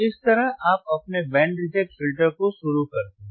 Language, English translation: Hindi, So, this is your Band reject filter right